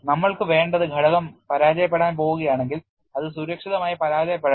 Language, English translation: Malayalam, What we want is if the component is going in to fail, let it fail safely